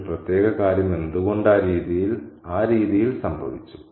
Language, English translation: Malayalam, How does a particular thing happen in the way it did happen